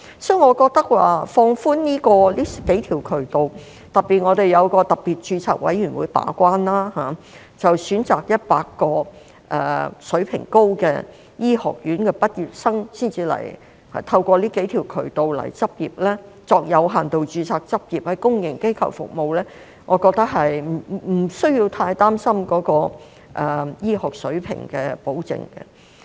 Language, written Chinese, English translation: Cantonese, 所以，我覺得可放寬這數個渠道，特別是我們設有一個特別註冊委員會把關，選擇100間水平高的醫學院的畢業生，再透過這數個渠道來港執業，作有限度註冊執業，在公營機構服務，我覺得無須太擔心醫學水平的保證。, Therefore I think these few channels can be relaxed when particularly there is a Special Registration Committee serving as the gatekeeper to select 100 high - level medical schools and admit through these few channels their graduates to come to Hong Kong for practice with limited registration and serve in public institutions . So I do not think we need to worry too much about the assurance of medical standards